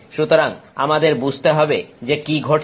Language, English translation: Bengali, So, we need to understand what is happening